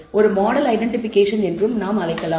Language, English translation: Tamil, We can also call it as identification of a model